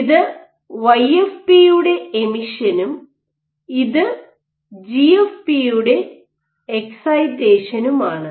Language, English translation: Malayalam, So, this is emission of YFP and this is excitation of GFP